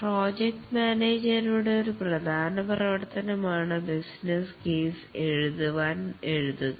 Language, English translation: Malayalam, One of the important activity of the project manager is right to write the business case